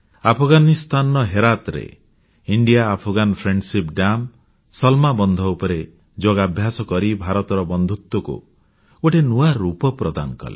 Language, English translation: Odia, In Herat, in Afghanistan, on the India Afghan Friendship Dam, Salma Dam, Yoga added a new aspect to India's friendship